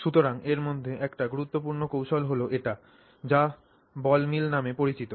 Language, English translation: Bengali, So, one important such technique is this technique called a ball mill